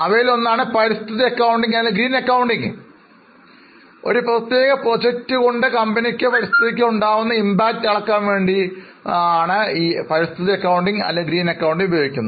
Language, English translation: Malayalam, One of them is environmental accounting or green accounting as it is known as where we try to measure the environmental impact for a particular project or for a company